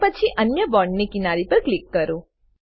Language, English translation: Gujarati, Then click other edge of the bond